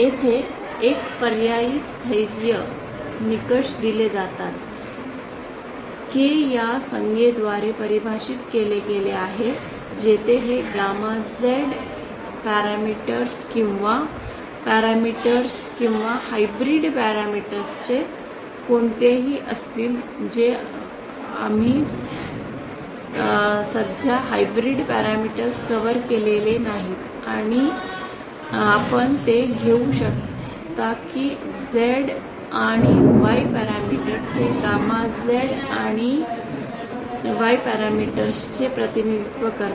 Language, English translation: Marathi, An alternate stability criteria is given like this here K is defined by this term where this gammas would be anyone of Z parameters or parameters or hybrid parameters we have not covered hybrid parameters for now you can take it that Z and Y parameters this gamma represents Z and Y parameters